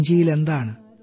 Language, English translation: Malayalam, Say, What's in the bag